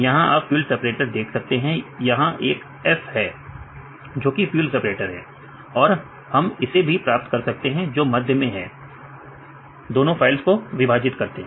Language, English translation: Hindi, So, this is the test one right now here you can see the field separator, this is the ‘F’ for field separator and we can get this to here right the middle ones, separate these two files right